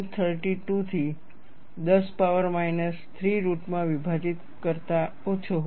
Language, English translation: Gujarati, 32 into 10 power minus 3 root of meters